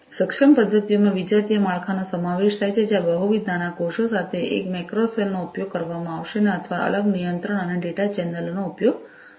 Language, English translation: Gujarati, Enabling methods include heterogeneous structure where a single macro cell with multiple small cells would be used or separate control and data channels could be used